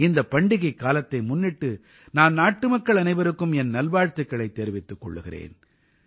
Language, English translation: Tamil, On the occasion of these festivals, I congratulate all the countrymen